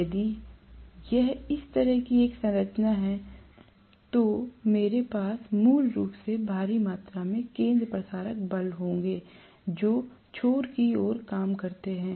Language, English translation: Hindi, If it is having a protruding structure like this, I will have basically huge amount of centrifugal forces acting towards the ends